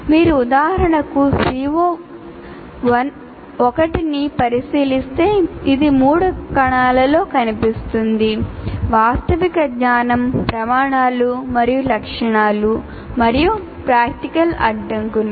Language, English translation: Telugu, And if you look at CO1 for example, it will appear in three cells right from factual knowledge, criteria and specifications and practical constraints